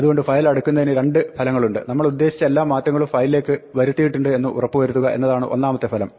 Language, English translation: Malayalam, So, closing the file has two effects; the first effect is to make sure that all changes that we intended to make to the file